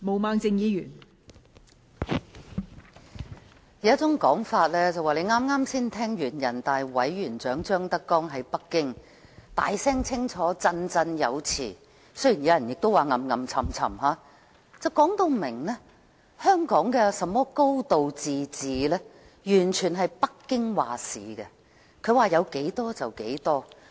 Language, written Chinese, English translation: Cantonese, 人們有一種說法。剛剛才聽完人大常委會委員長張德江在北京大聲清楚、振振有詞——雖然亦有人說是囉囉唆唆——說明香港的"高度自治"完全是由北京作主，它說有多少就是多少。, Someone has made the following remark the Chairman of the Standing Committee of the National Peoples Congress ZHANG Dejiang has just spoken categorically with a loud and clear voice in Beijing―though some others have described his speech as nagging―that the high degree of autonomy of Hong Kong was subject totally to decisions of Beijing